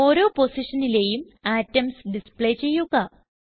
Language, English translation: Malayalam, Here we have 3 positions to display atoms